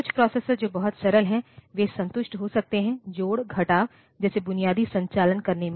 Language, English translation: Hindi, So, some processor which is very simple, they are we may be satisfied by in doing say basic operations like addition, subtraction